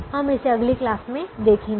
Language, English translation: Hindi, we will see this in the next class